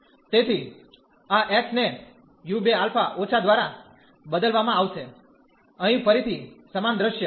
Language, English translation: Gujarati, So, this x will be replaced by u 2 alpha minus the same scenario here again